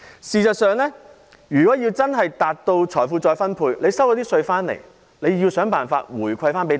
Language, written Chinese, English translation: Cantonese, 事實上，如要真正達到財富再分配，政府收到稅款後便應設法回饋大家。, In fact if we really want to redistribute wealth the Government should try to pass on the benefits to the public after receiving tax payment